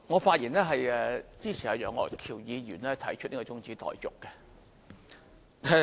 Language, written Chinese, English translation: Cantonese, 主席，我發言支持楊岳橋議員提出的中止待續議案。, President I rise to speak in support of the adjournment motion proposed by Mr Alvin YEUNG